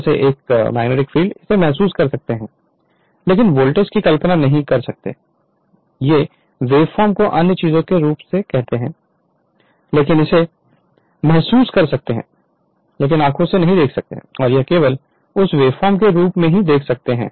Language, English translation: Hindi, Like your magnetic field you can feel it, but you cannot visualise cu[rrent] voltage current you can see the wave form other things you, but you can feel it, but you cannot see in your open eyes only you can see that wave form right